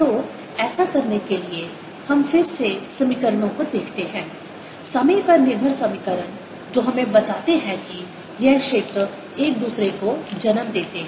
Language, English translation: Hindi, look at the equations, time dependent equations that tell us that this fields give rise to each other